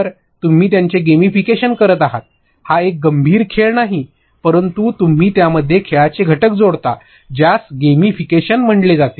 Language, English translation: Marathi, So, you gamify it, it is not a serious game, but you add elements of games to it that is referred to as gamification